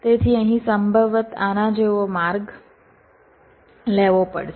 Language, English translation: Gujarati, so here possibly will have to take a route like this